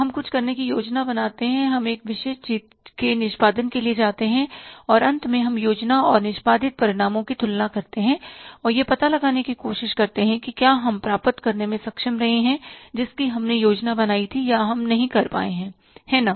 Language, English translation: Hindi, We plan to do something, we go for execution of that particular thing and finally we compare the planned and the executed results and try to find out whether we have been able to achieve but we planned for or we have not been able to